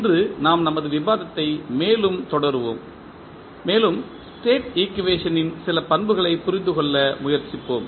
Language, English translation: Tamil, Today we will continue our discussion further and we will try to understand few properties of the State equation